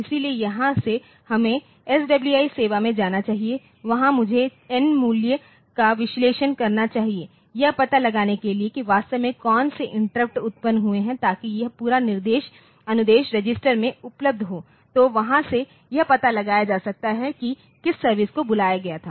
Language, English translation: Hindi, So, from here we should go to the SWI service and there I should analyze the value of n to figure out what which interrupts has really occurred so that this whole instruction is available in the instruction register so, the from there it can see we can figure out like which instruction which service has been asked for